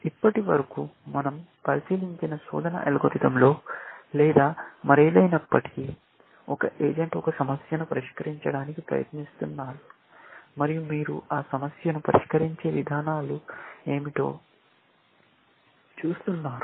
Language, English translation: Telugu, So far, the algorithm that we have looked at, search or whatever else; there was a single agent, trying to solve a problem, and you are looking at what are the approaches solve that problem